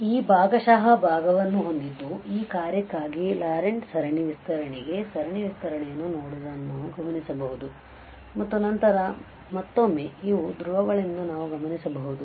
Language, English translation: Kannada, So, having this partial fraction, we can also observe looking at the series expansion for this the Laurent series expansion for this function and then again we can observe that these are the poles, so this is method 2 we are going to now have